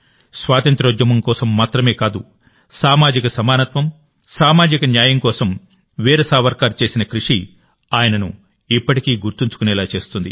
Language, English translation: Telugu, Not only the freedom movement, whatever Veer Savarkar did for social equality and social justice is remembered even today